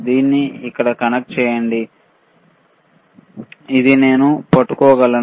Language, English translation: Telugu, Connect it to here, this one I can hold it